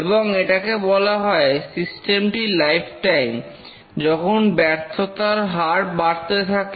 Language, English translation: Bengali, And this is called as the lifetime of the system when the failure rate starts to increase